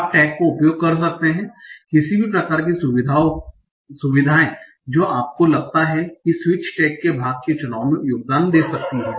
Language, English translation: Hindi, You can use any sort of features which might, which you think might contribute to the choice of part of speech tags